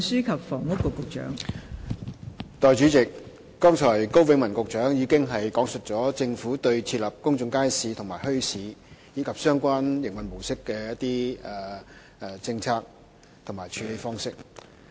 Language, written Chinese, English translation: Cantonese, 代理主席，高永文局長剛才已講述了政府對設立公眾街市和墟市，以及相關營運模式的政策和處理方式。, Deputy President Secretary Dr KO Wing - man has just talked about the Governments policy and approach to public markets and bazaars as well as their mode of operation